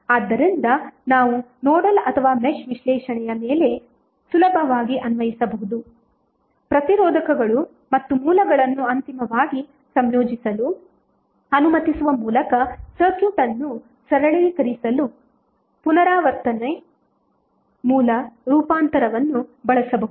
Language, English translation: Kannada, So that we can easily apply over nodal or mesh analysis, repeated source transformation can be used to simplify the circuit by allowing resistors and sources to eventually be combine